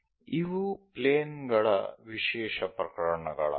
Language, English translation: Kannada, These are the special cases of the planes